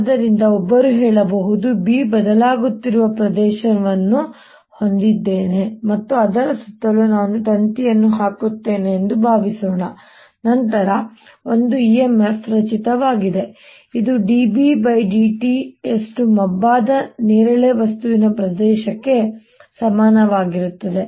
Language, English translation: Kannada, so one can say: suppose i have an area through which b is changing and i put a wire around it, then there is an e m f generated which is equal to d, b, d t times the area of that shaded purple things